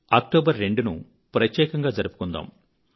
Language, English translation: Telugu, Let us celebrate 2nd October as a special day